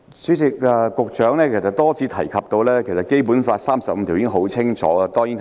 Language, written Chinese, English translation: Cantonese, 主席，司長多次提及《基本法》第三十五條的條文。, President the Chief Secretary has repeatedly referred to the provisions of Article 35 of the Basic Law